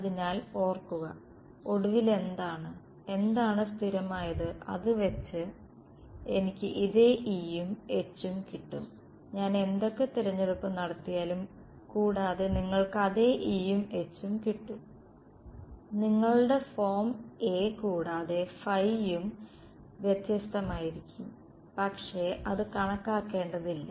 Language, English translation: Malayalam, So, remember so, what finally, what should it be consistent with I should get this same E and H regardless of whatever choices I have made and you will get the same E and H, your form for A and phi will be different, but that does not matter ok